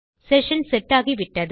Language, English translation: Tamil, We have our session set